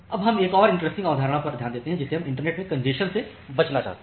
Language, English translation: Hindi, Now we look into another interesting concept which we call as the congestion avoidance in the internet